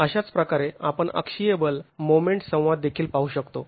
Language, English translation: Marathi, In a similar manner, we can also look at the axial force moment interaction